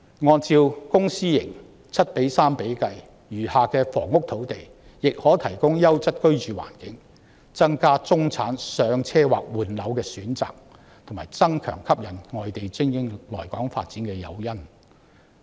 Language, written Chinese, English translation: Cantonese, 按照公私營房屋 7：3 的比例，餘下的房屋用地亦可提供優質居住環境，增加中產人士"上車"或換樓的選擇，並加強吸引外地精英來港發展的誘因。, Given the publicprivate split of public housing of 7col3 the remaining land for housing can also be used to provide a quality living environment to increase the home ownership or property replacement options for the middle class and enhance the incentives that attract overseas elites to Hong Kong